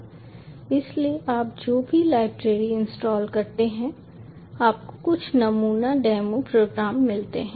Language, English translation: Hindi, so whatever library is you install, you get some sample demo programs